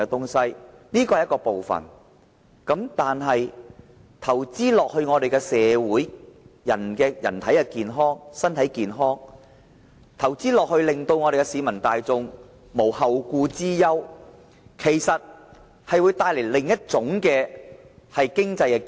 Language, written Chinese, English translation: Cantonese, 這是其中一個方法，但投資在社會和人民的健康，令市民大眾無後顧之憂，其實會帶來另一種經濟機遇。, This is only one of the approaches . Yet investments in society and the health of the people will relieve the public from their worries about their future and this will create another kind of economic opportunities